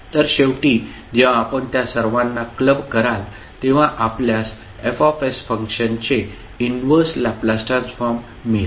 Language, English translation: Marathi, So finally, when you club all of them, you will get the inverse Laplace transform of the function F s